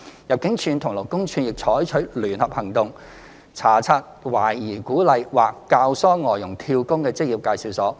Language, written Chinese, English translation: Cantonese, 入境處及勞工處並採取聯合行動，查察懷疑鼓勵或教唆外傭"跳工"的職業介紹所。, ImmD and LD also mount joint operations to inspect EAs suspected of encouraging or inducing FDHs to job - hop